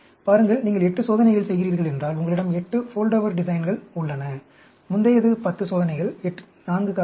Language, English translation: Tamil, See, you have Foldover designs for, if you are doing 8 experiments, previous one is 10 experiments, 4 factors